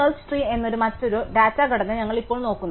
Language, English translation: Malayalam, We now look at another data structure called a Search Tree